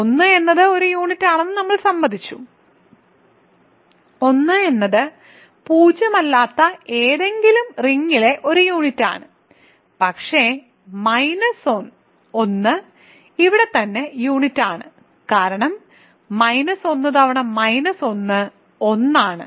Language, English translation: Malayalam, So, we agreed that 1 is a unit; 1 is a unit in any non zero ring, but minus 1 is also unit here right because minus 1 times minus 1 is 1